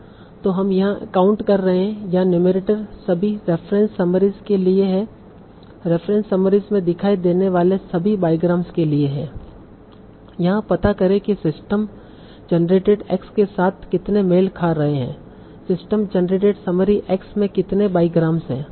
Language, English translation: Hindi, So you are counting, so your numerator is for all some reference summaries, for all the biograms that occur in the reference summaries, find out how many are matching with the system generated x